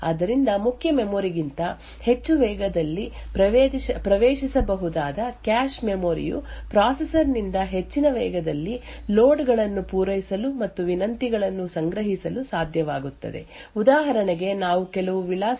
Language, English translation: Kannada, Therefore or the cache memory which can be accessed at a much faster rate than the main memory would be able to service loads and store requests from the processor at a much faster rate so for example we have a load instruction say load to register are from some address